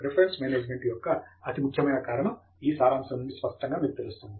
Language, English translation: Telugu, The reason why reference management is very important is evident from this summary